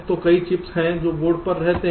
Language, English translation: Hindi, suppose there are two chips on the board